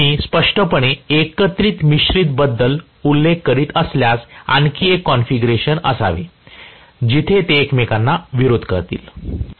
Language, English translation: Marathi, So, obviously if I am specifically mentioning about cumulatively compounded there should be may be another configuration where they will oppose each other